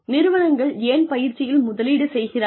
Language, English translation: Tamil, Why do they invest in training